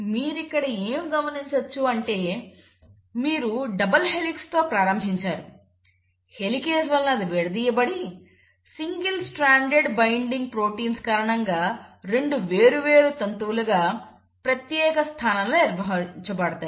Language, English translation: Telugu, So what do you notice here is, you started with a double helix, the helix got uncoiled, thanks to the helicase and the 2 separated strands were maintained in a separate position because of the single strand binding proteins